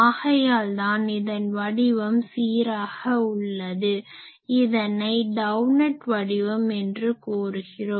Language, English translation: Tamil, So, that is why it is uniformed this shape is called doughnut shape doughnut